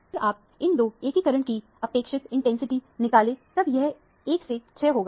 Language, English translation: Hindi, If you measure the relative intensities of these two integration, this would be 1 is t o 6